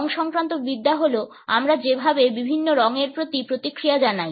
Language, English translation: Bengali, Chromatics is the way we respond to different colors